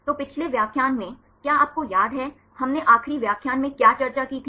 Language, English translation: Hindi, So, in the last lecture, do you remember, what did we discuss in the last lecture